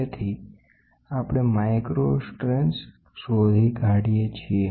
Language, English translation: Gujarati, So, that we find out the micro strains